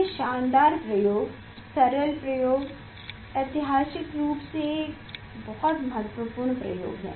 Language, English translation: Hindi, this fantastic experiment, simple experiment, historically very important experiment